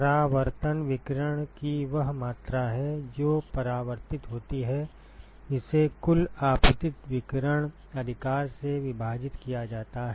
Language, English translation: Hindi, Reflectivity is the amount of radiation which is reflected, divided by the total incident irradiation right